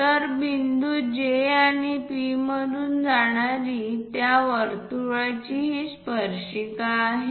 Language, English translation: Marathi, So, this is the tangent through that circle passing through point J and P